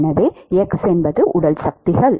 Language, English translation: Tamil, It is called body forces